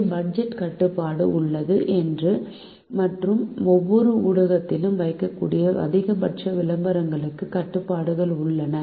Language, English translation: Tamil, there is a budget restriction and there are restrictions on the maximum number of advertisements that can be placed in each of the media